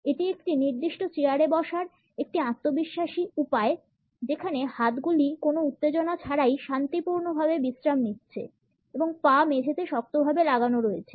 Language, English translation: Bengali, It is a confident way of sitting on a particular chair where arms are resting peacefully without any tension and feet are also planted firmly on the floor